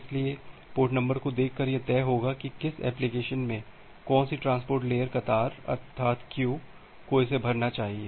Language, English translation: Hindi, So, by looking into the port number, it will decide that in which application which transport layer queue it should fill it